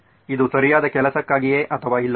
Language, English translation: Kannada, Whether it is for the right thing to do or not